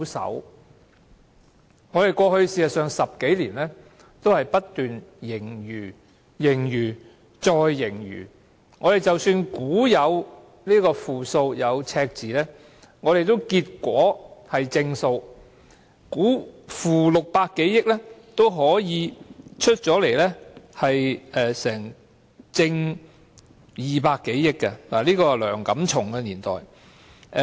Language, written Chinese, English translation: Cantonese, 事實上，過去10多年的估算均不斷是盈餘、盈餘、再盈餘，即使估計會出現負數、赤字，結果也是正數；即使估計是負600多億元，最後的結果也可以是正200多億元，這是梁錦松年代的事情。, In fact the estimations over the past 10 years have been continuous surpluses . Even a negative number or deficit was anticipated it always turned out to be positive . Even the estimation was negative 60 - odd billion the outcome could be positive 20 - odd billion―it happened in the Antony LEUNG era